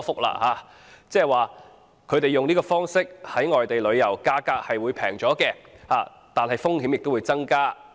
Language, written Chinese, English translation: Cantonese, 換言之，市民以這方式在外地旅遊，價格是便宜，但風險也增加。, In other words if people join such type of outbound tour they pay a lower fare but have to face higher risks